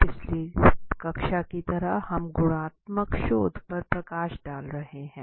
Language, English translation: Hindi, As in the last class we are covering up on qualitative research